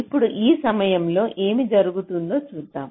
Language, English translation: Telugu, so now let us see what happens